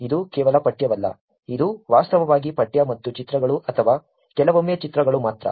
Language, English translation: Kannada, It is not just text only; it is actually text and images or sometimes only images